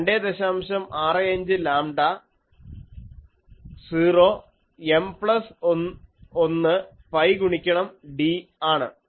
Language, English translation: Malayalam, 65 lambda 0 M plus 1 pi into d